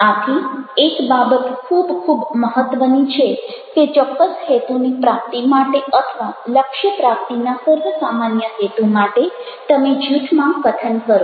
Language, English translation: Gujarati, so one thing is very, very important: that you speaking in a group for to achieve certain objective or for a common purpose are to to achieve the goal